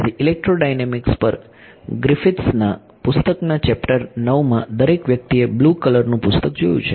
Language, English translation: Gujarati, So, chapter 9 of Griffiths book on electrodynamics right, everyone has seen that, the blue color book right